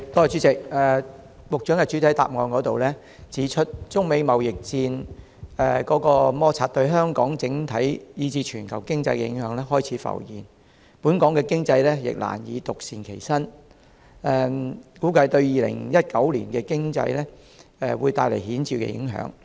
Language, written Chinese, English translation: Cantonese, 主席，局長在主體答覆中指出，中美貿易摩擦對香港整體以至全球經濟的影響開始浮現，本港經濟亦難以獨善其身，估計對2019年的經濟會帶來顯著的影響。, President the Secretary points out in the main reply that impacts of the China - US trade conflict on Hong Kongs economy have begun to emerge; Hong Kong economy cannot stay immune and significant impact on the economy in 2019 is expected